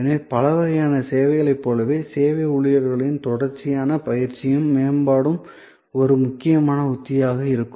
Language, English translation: Tamil, So, just as for many other types of services, the continuous training and development of service personnel will be an important strategy